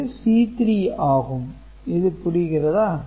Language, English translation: Tamil, So, you are looking at this C 3